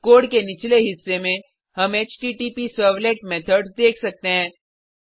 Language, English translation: Hindi, At the bottom of the code, we can see HttpServlet methods